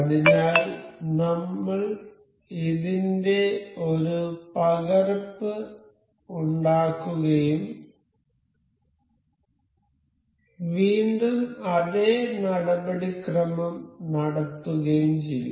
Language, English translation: Malayalam, So, I will copy make a copy of this and once again the same procedure do